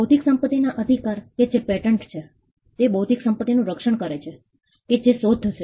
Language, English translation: Gujarati, The intellectual property rights that is patents, they protect the intellectual property that is invention